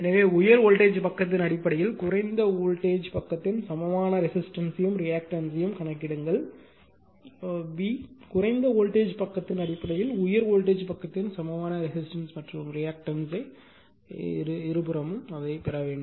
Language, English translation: Tamil, So, calculate the equivalent resistance and reactance of low voltage side in terms of high voltage side, b, equivalent resistance and reactance of high voltage side in terms of low voltage side both side you have to get it, right